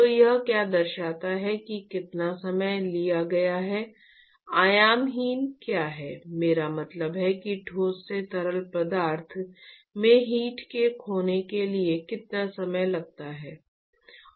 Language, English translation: Hindi, So, what it signifies is what is the time that is taken, what is the dimensionless, I mean what is the time that is taken in order for the heat to be lost from the solid to the fluid